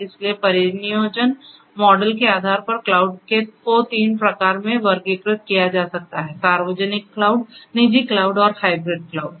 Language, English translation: Hindi, So, based on the deployment model the cloud can be classified into three types one is the public cloud, private cloud and the hybrid cloud